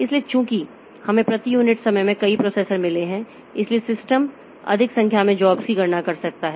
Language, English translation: Hindi, So, since we have got multiple number of processors per unit time the system can compute more number of jobs